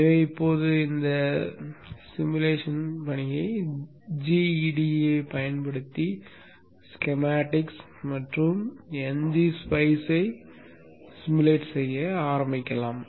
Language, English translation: Tamil, So let us now begin the simulation work using GEDA for generating the schematics and NGPI for simulating